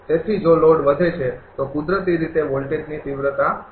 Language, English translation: Gujarati, So, if load increases then naturally voltage magnitude will be low